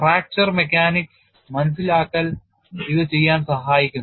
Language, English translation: Malayalam, So, it is a very important area and fracture mechanics understanding helps in doing this